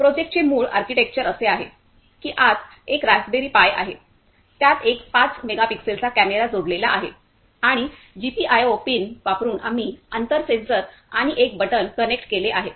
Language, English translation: Marathi, The basic architecture of the; the basic architecture of the project is that there is a Raspberry Pi inside, a camera is connected to it of 5 megapixel camera and using the GPIO pins, we have connected the distance sensor and a button